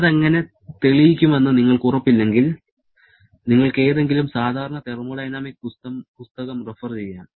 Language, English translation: Malayalam, If you are not sure about how to prove that, you can refer to any standard thermodynamics book